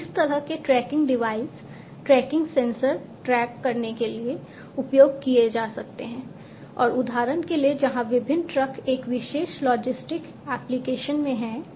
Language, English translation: Hindi, So, this kind of you know these tracking devices tracking sensors and, so on, can be used to track for example, where the different trucks are in a particular logistic application